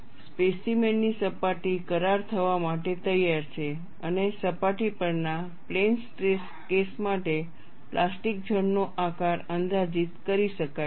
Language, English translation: Gujarati, The surface of the specimen is ready to contract and the plastic zone shape can be approximated to be as that for plane stress case at the surface